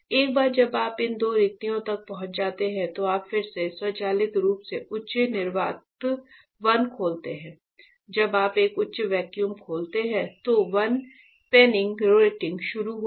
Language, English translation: Hindi, Once you reach by these two vacua, again you go automatically open high vacuum 1; when you open a high vacuum 1 penning rating will be started